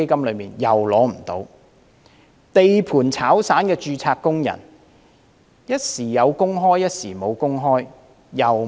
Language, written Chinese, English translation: Cantonese, 一名在地盤當散工的註冊工人，工作時有時無，亦不能受惠。, A registered worker who serves as a casual worker at construction sites from time to time also cannot benefit from it